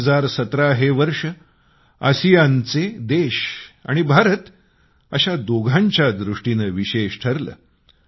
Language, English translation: Marathi, The year 2017 has been special for both ASEAN and India